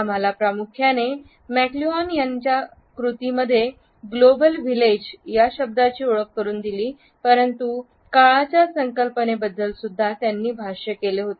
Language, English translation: Marathi, We primarily know McLuhan for introducing us to the term global village in his works, but he has also talked about the concept of time